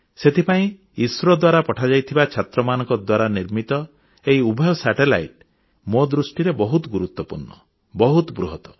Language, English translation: Odia, Keeping this in mind, in my opinion, these two satellites made by the students and launched by ISRO, are extremely important and most valuable